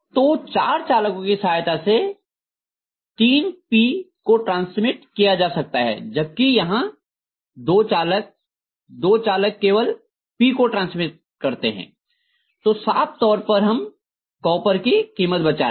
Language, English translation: Hindi, So even then four conductors are able to transmit 3 P whereas here two conductors, two conductors are transmitting only P, so obviously we are saving on the cost of copper